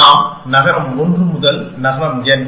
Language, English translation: Tamil, So, there is n cities, 1 to n